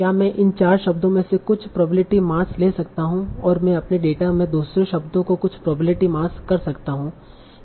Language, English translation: Hindi, So that is can I still some probability mass from these four words to assign some probability mass to the other words in my data